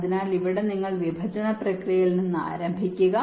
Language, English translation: Malayalam, so here you start from the partitioning process